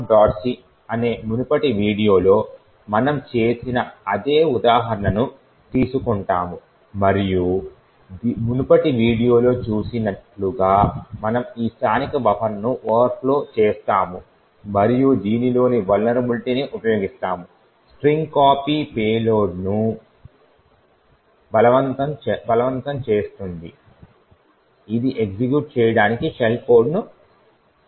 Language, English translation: Telugu, So what we do is that we take the same example as we have done in the previous video which is test code dot c, which comprises of these two functions and as we seen in the previous video we overflow this buffer this local buffer and using the vulnerability in the string copy forces a payload which would create shell to execute